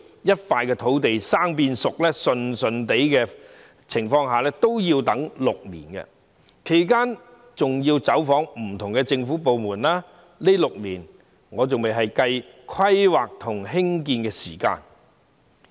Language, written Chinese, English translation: Cantonese, 一塊土地由"生"變"熟"，情況順利也要6年，其間有關方面還要走訪不同的政府部門，而且這6年仍未計算規劃和興建的時間在內。, If everything goes smoothly it still takes six years for a piece of primitive land to be transformed into a spade - ready site during which time the parties concerned have to visit different government departments and these six years do not include the planning and construction time